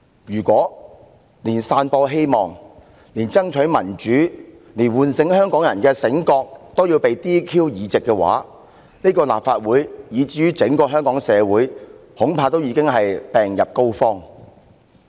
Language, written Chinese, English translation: Cantonese, "如果連散播希望、連爭取民主、連喚醒香港人也要被取消議席的話，則恐怕立法會以至整個香港社會已經病入膏肓了。, If someone has to be disqualified as a Legislative Council Member for sharing hope fighting for democracy and awakening Hong Kong people I am afraid that the Council and even Hong Kong as a whole are hopeless